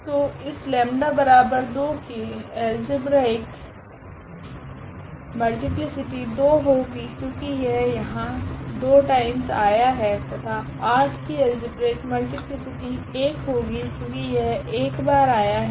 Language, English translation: Hindi, So, that I the algebraic multiplicity of this 2 is 2 and the algebraic multiplicity of 8 because this is repeated only once